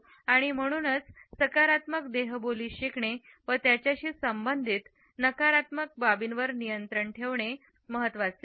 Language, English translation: Marathi, And therefore, it is important to learn positive body language and control the negative aspects associated with it